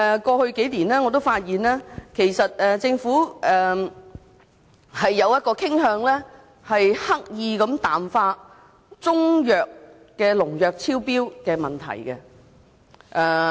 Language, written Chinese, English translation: Cantonese, 過去數年，我發現政府傾向刻意淡化中藥的農藥超標問題。, Over the past few years I found that the Government tended to purposely water down the problem of excessive pesticides in Chinese medicines